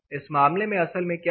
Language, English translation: Hindi, In this case, what actually happens